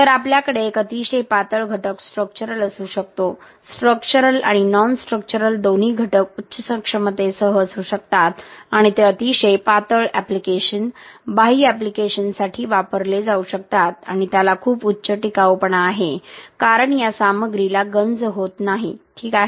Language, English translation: Marathi, So, we can have a very thin element structural, both structural and non structural elements with high capacity and it can be used for very thin application, exterior applications and he has very high durability since the corrosion is not happening this material, okay